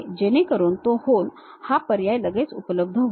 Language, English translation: Marathi, So, that hole options straight away available